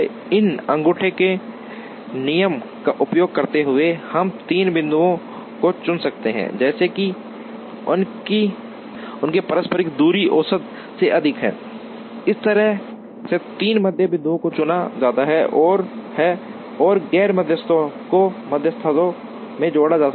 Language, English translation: Hindi, So, using this thumb rule, we can chose three points such that, their mutual distances are all greater than the average, that way three median points are chosen and the non medians can go and get attached to the medians